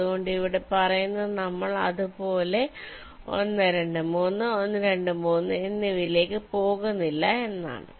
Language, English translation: Malayalam, so here i am saying that we are not even going into one, two, three, one, two, three, like that